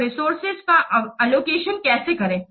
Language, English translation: Hindi, So how to allocate the resources